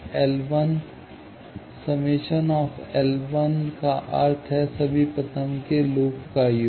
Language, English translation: Hindi, Now, sigma L 1 means, sum of all first order loops